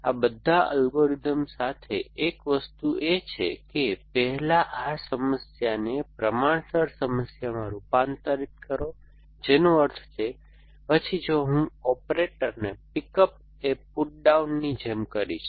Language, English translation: Gujarati, So, one thing with all these algorithms do is to first convert this problem into a proportional problem which means, then if I will operator like a pick up a put down